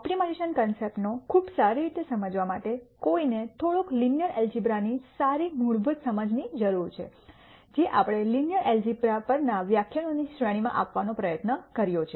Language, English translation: Gujarati, And quite a bit of the optimization concepts for one to understand quite well you need a good fundamental understanding of linear algebra which is what we have tried to deliver through the series of lectures on linear algebra